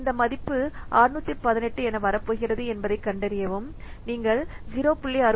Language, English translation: Tamil, So, find out this value, it is coming 618